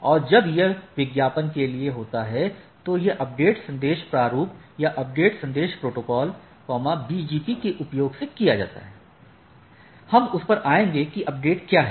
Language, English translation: Hindi, And when that this advertisement is for this advertisement, this update message format or the updates message protocol is used in the BGP; we will come to that that what is update